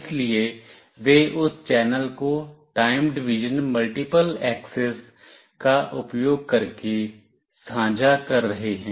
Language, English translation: Hindi, So, they are sharing that channel using time division multiple access